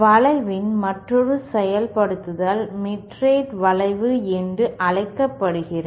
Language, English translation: Tamil, Another implementation of the bend is what is called as the mitred bend